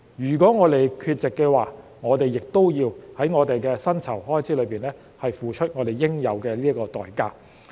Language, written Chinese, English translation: Cantonese, 如果我們缺席的話，我們也要在薪酬開支上付出應有的代價。, If we are absent we will also have to pay a price in terms of remuneration